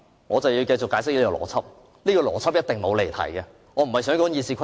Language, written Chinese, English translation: Cantonese, 我正要解釋我的邏輯，這一定不會離題，我不是想說《議事規則》。, I am about to discuss my logic which definitely will not digress from the subject